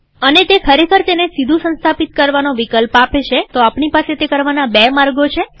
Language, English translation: Gujarati, And actually this gives an option to install it directly, so we have two ways of doing it